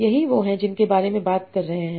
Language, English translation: Hindi, That's what we are talking about